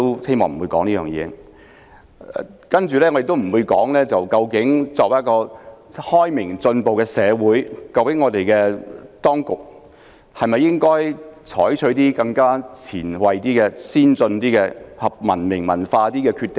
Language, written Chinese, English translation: Cantonese, 此外，我也不會討論，作為一個開明進步的社會，究竟當局應否採取比較前衞、先進、合乎文明和文化準則的決定？, In addition I will not discuss whether the Government of a liberal and progressive society should make a decision that is more avant - garde advanced and consistent with the culture and civilization standards